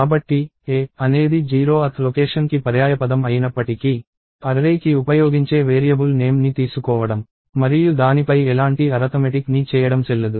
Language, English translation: Telugu, So, even though ‘a’ is the synonym for the 0th location, it is not valid to take the variable name, that is used for the array and do any kind of arithmetic on it